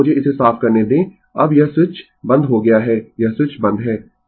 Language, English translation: Hindi, Now, let me clear it, now this switch is closed this switch is closed right